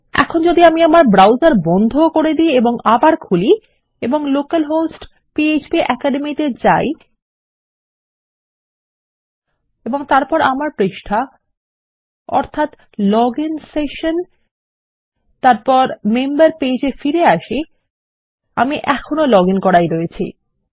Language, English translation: Bengali, And in some second starts if I close my browser and reopen it and I go to local host php academy then go back to my page which is the login session and back to my member page Im still logged in